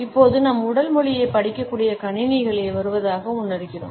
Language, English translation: Tamil, And now we feel that computers are coming, which can read our body language